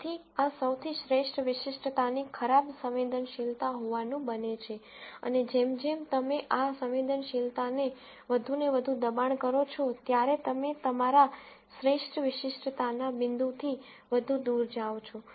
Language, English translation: Gujarati, So, this happens to be the best specificity worst sensitivity and as you push this sensitivity more and more, you go further away from your best specificity point